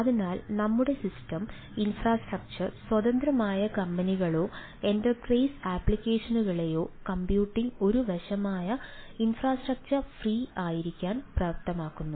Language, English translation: Malayalam, so computing enables ah companies or enterprises applications which ah our system infrastructure independent, to be infrastructure free